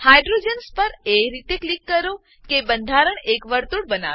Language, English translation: Gujarati, Click on the hydrogens in such a way that the structure forms a circle